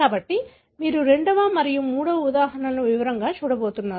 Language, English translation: Telugu, So, you are going to look into the second and third examples in detail